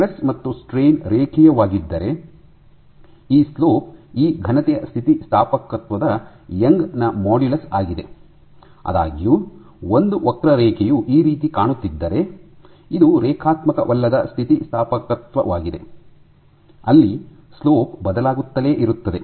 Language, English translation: Kannada, So, if your stress versus strain is linear then this slope is the youngs modulus of elasticity of this solid; however, if a curve looks like this then this is non linear elasticity, where your slope keeps on changing